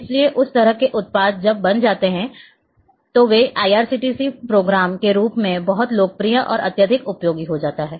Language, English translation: Hindi, So, that kind of products when are created then they become very popular and highly useful as IRCTC programme